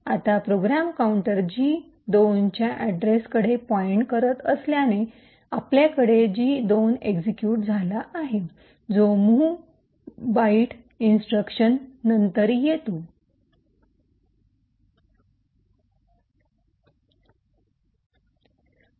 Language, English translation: Marathi, Now since the program counter is pointing to the address of G2 we have gadget 2 getting executed which is the mov byte instruction followed by the return